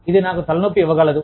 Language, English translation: Telugu, It could give me, headaches